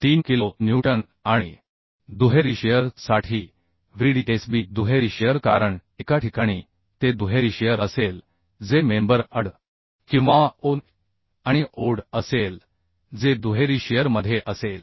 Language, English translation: Marathi, 3 kilonewton and for double shear Vdsb in double shear because in one case it will be double shear that is member AD or OD that will be in double shear so that will be 45